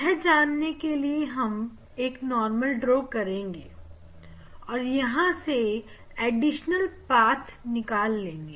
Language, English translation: Hindi, See if we draw a normal here; this path is same and additional path here